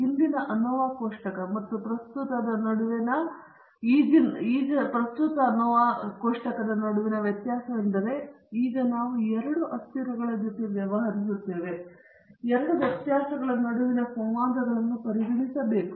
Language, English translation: Kannada, The difference between the earlier ANOVA table and the current one is that now we are dealing with two variables, and we also have to consider the interactions between the two variables